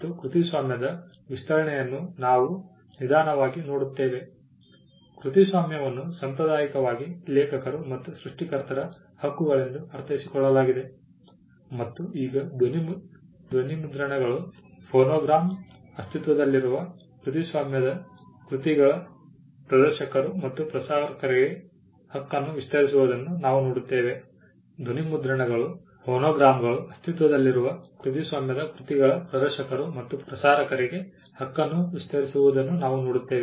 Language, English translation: Kannada, So, we slowly see the expansion of copyright, copyright was traditionally understood as rights of the authors and creators and now we see the right extending to producers of sound recordings, phonograms, performers of existing copyrighted works and broadcasters